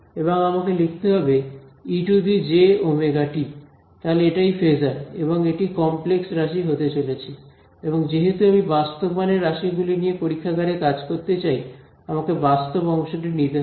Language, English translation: Bengali, And I have put the e to the j omega t that is the phasor and I this is; obviously, going to be a complex quantity and since I want to only deal with real valued quantities in the lab world so I related by taking the real part so, that is what we will do